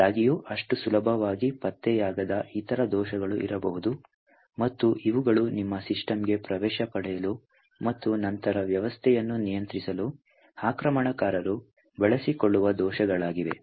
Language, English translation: Kannada, However, there may be other bugs which are not detected so easily, and these are the bugs which are the flaws that an attacker would actually use to gain access into your system and then control the system